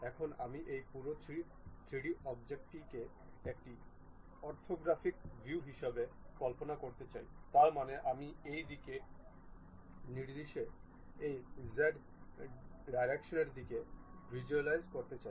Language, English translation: Bengali, Now, I would like to visualize this entire 3D object as one of the orthographic view; that means, I would like to visualize in this direction, in this z direction